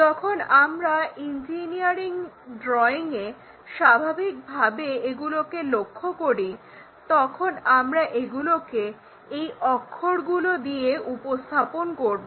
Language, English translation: Bengali, So, when we are looking at that naturally in any engineering drawing we have to represent by that letters